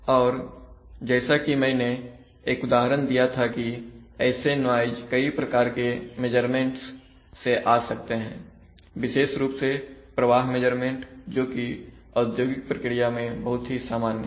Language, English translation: Hindi, And as I have given an example that such noise may come from various kinds of measurements especially flow measurements which are very common in an industrial process